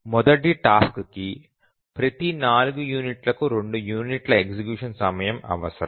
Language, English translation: Telugu, The first task needs two units of execution time every four units